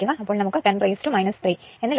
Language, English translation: Malayalam, So, it is 3